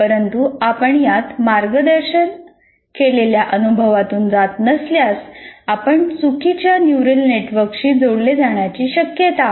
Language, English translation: Marathi, But if you do not go through a guided experience in this, there is a possibility that you connect it to the wrong network, let's say, neural network